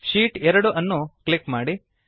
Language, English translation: Kannada, Lets click on Sheet2